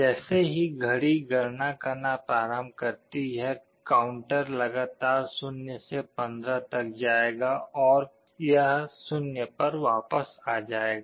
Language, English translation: Hindi, As the clock counts the counter will continuously go from 0 to 15 and then again it will go back to 0